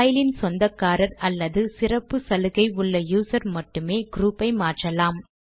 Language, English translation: Tamil, Only the owner of a file or a privileged user may change the group